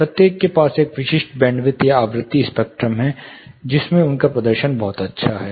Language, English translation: Hindi, Each one has a specific band width or frequencies spectrum, in which they have a very good performance